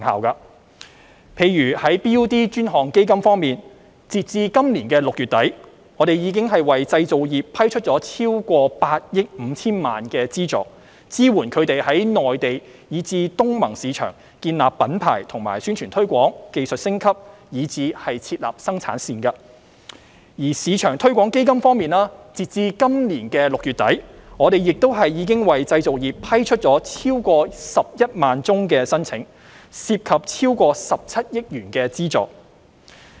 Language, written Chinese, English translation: Cantonese, 例如在 BUD 專項基金方面，截至今年6月底，我們已為製造業批出超過8億 5,000 萬元的資助，支援他們在內地及東南亞國家聯盟市場建立品牌及宣傳推廣、技術升級，以至設立生產線；而中小企業市場推廣基金方面，截至今年6月底，我們亦已為製造業批出超過11萬宗申請，涉及超過17億元的資助。, For instance as at the end of June this year a total funding amount of over 850 million has been approved under the BUD Fund to support the manufacturing industry in respect of branding and promotion technological upgrade and establishment of production lines in the mainland and the Association of Southeast Asian Nations ASEAN markets . On the other hand as at the end of June this year more than 110 000 applications from the manufacturing industry have been approved under the SME Export Marketing Fund involving a total funding amount of 1.7 billion